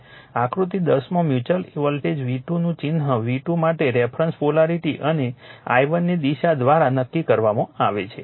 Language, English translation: Gujarati, Now, in figure 10 the sign of the mutual voltage v 2 is determined by the reference polarity for v 2 and direction of i1 right